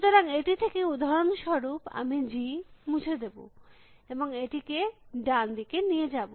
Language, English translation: Bengali, So, for example from this, I will delete G and take it to the right hand side